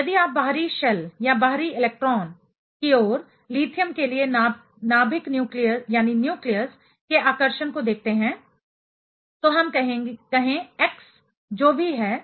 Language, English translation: Hindi, So, if you look at the attraction of the nucleus for lithium towards the outer shell or outer electron, let us say x whatever it is